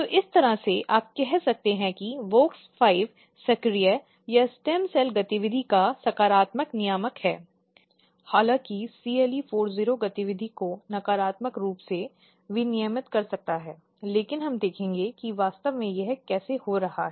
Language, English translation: Hindi, So, in this way, you can say that WOX5 is activator or positive regulator of stem cell activity, whereas CLE40 might be negatively regulating the activity but we will see how exactly this is happening